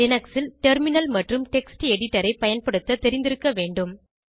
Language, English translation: Tamil, You must have knowledge of using Terminal and Text editor in Linux